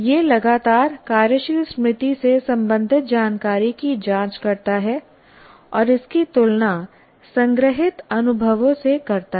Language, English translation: Hindi, It constantly checks information related to working memory and compares it with the stored experiences